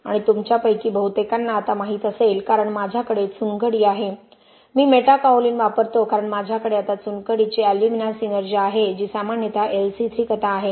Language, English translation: Marathi, 5 micron size and most of you would know now because I have limestone I use Metakaolin because I have now the limestone alumina synergy which is typically the LC3 story